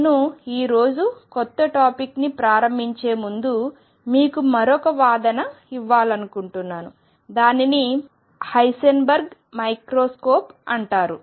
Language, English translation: Telugu, I want to give you another argument before I start in the new topic today and that is what is known as Heisenberg’s microscope